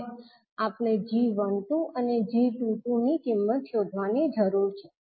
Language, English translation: Gujarati, Now we need to find out the value of g12 and g22